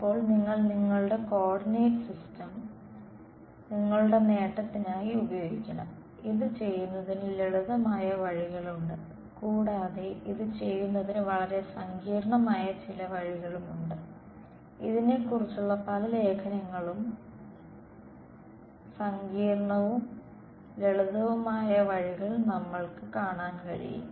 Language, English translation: Malayalam, Now you should you should use your coordinate system to your advantage, there are sort of simple ways of doing this and there are some very complicated ways of doing this and even in the literature we will find complicated and simple ways